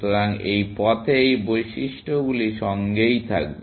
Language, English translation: Bengali, So, on this path, these properties will hold, essentially